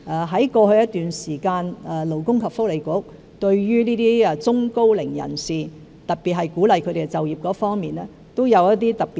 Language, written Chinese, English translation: Cantonese, 在過去一段時間，勞工及福利局對中高齡人士都有一些特別措施，特別在鼓勵他們就業方面。, For a certain period of time in the past the Labour and Welfare Bureau had some special measures for the middle - aged and the elderly especially in encouraging them to seek employment